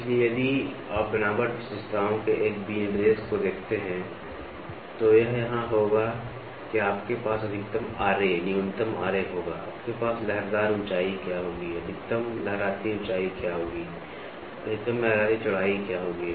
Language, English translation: Hindi, So, if you look at a specification of a texture characteristics, it will be here you will have maximum Ra, minimum Ra, maximum Ra, you will have what is the waviness height, what is the maximum waviness height, what is the maximum waviness width